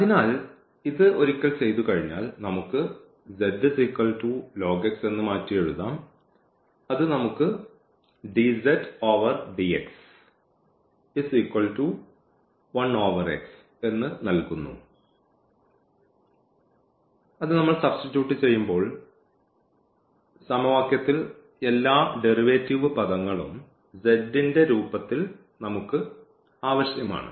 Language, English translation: Malayalam, So, once we do this one or we can rewrite this as z is equal to ln x and that gives us that dz over dx because that will be required when we substitute all these derivatives terms in the form of z so, this dz over dx will be one over x